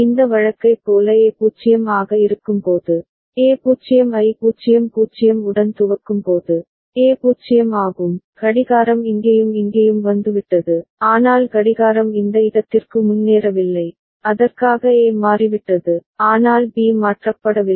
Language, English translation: Tamil, And when A is 0 like this case, when A is 0 initialised with 0 0 0, A is 0, clock has come here as well as here, but the clock has not advanced to this point right for which A has toggled, but B has not toggled